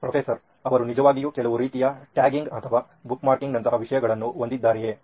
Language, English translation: Kannada, And do they actually have some kind of tagging or bookmarking kind of thing